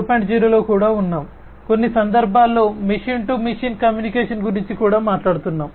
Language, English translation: Telugu, 0, we are also talking about in certain cases machine to machine communication